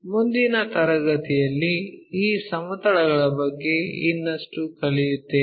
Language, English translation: Kannada, In the next class, we will learn more about these planes